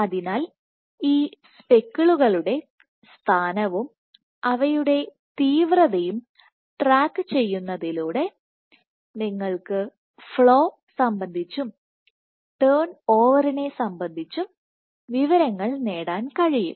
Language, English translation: Malayalam, So, by tracking the position of these speckles and the intensity of these speckles you can get information about flow and turn over